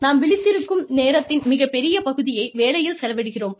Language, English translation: Tamil, We spend, a very large chunk of our waking time, at work